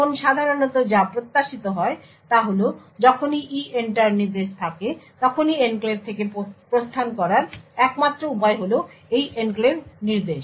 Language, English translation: Bengali, Now typically what is expected is that whenever there is EENTER instruction the only way to exit from the enclave is by this Enclave instruction